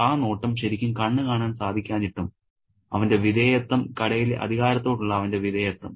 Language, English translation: Malayalam, And that looking without really seeing is his subjection, his subservience to the authority in the shop